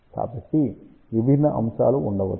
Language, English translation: Telugu, So, there may be different elements